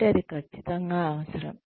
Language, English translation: Telugu, So, that is absolutely necessary